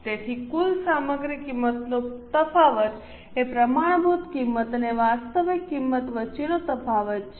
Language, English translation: Gujarati, So, the total material cost variance is a difference between standard cost and actual cost